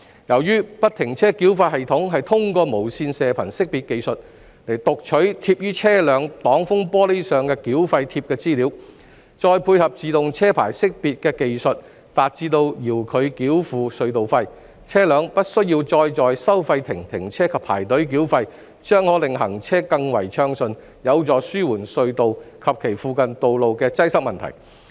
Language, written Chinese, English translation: Cantonese, 由於不停車繳費系統是通過無線射頻識別技術讀取貼於車輛擋風玻璃上的繳費貼資料，再配合自動車牌識別技術，達致遙距繳付隧道費，車輛不需要再在收費亭停車及排隊繳費，將可令行車更為暢順，有助紓緩隧道及其附近道路的擠塞問題。, It can be described as bringing nothing but benefits . FFTS is a system which makes remote toll payment possible by using the Radio Frequency Identification technology to read the data of the toll tags affixed on the windscreens of the vehicles with the support of the Automatic Number Plate Recognition technology . As vehicles no longer need to stop at the toll booths and queue up for toll payment the traffic flow will be improved thus helping to alleviate congestions at the tunnels and on the roads in their vicinity